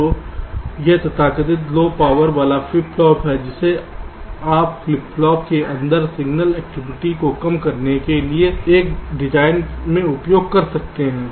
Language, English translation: Hindi, so this is the so called low power flip flop, which you can use in a design to reduce the signal activity inside the flip flops